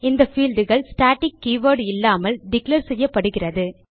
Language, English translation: Tamil, These fields are declared without the static keyword